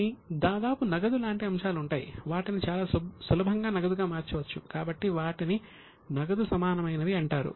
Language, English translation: Telugu, They can be very easily converted into cash so they are called as cash equivalents